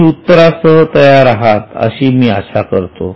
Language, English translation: Marathi, I hope you are ready with the solution